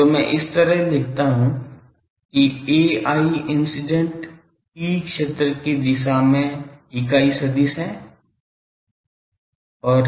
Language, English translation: Hindi, So, that suppose I write like this that a i is the unit vector in the direction of the incident E field